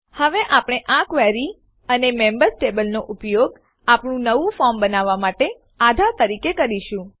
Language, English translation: Gujarati, Now we will use this query and the members table as the base for creating our new form